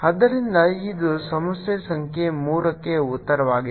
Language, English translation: Kannada, so this is the answer for problem number three